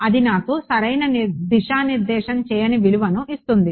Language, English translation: Telugu, It gives me a value it does not give me direction right